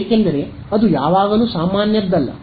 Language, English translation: Kannada, Because they are not always the normal